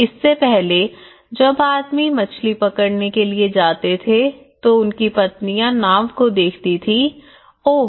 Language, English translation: Hindi, Earlier, husband when he goes for fishing the woman used to see the boat, oh